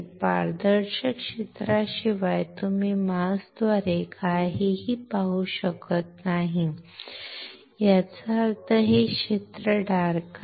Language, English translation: Marathi, You cannot see anything through the mask except the area which is transparent; that means, this field is dark